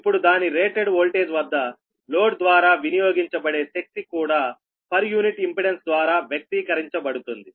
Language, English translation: Telugu, right now the power consumed by the load, that is rated voltage, can also be expressed by per unit impedance